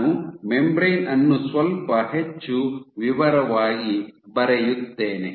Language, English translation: Kannada, So, if I draw the membrane in a little more detail